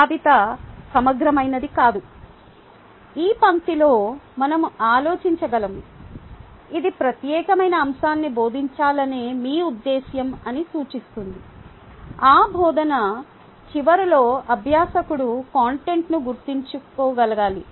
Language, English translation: Telugu, we can think in this line, which basically indicate that your intention of teaching that particular topic is that at the end of that teaching, the learner should be able to remember the conduct